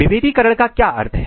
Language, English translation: Hindi, What is the meaning of differentiation